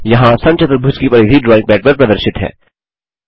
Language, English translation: Hindi, Perimeter of rhombus is displayed here on the drawing pad